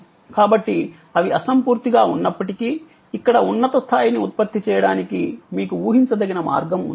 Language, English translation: Telugu, So, that even though they are intangible you have some predictable way of generating a higher level here